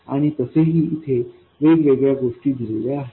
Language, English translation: Marathi, And also there are different things here